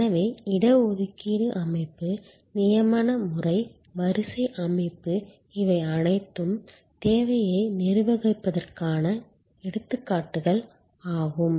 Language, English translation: Tamil, So, reservation system, appointment system, queue system these are all examples of managing demand